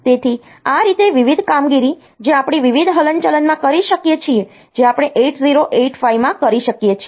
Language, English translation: Gujarati, So, in this way I can think I can talk about various operations that we can do in various movements that we can do in 8085